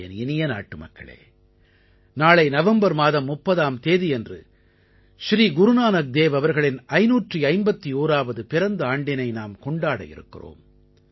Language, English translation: Tamil, tomorrow on the 30th of November, we shall celebrate the 551st Prakash Parv, birth anniversary of Guru Nanak Dev ji